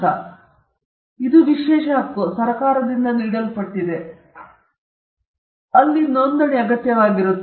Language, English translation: Kannada, Again, it is an exclusive right; it is conferred by government which means it involves registration